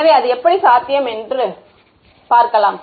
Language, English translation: Tamil, So, how its possible and etcetera etcetera ok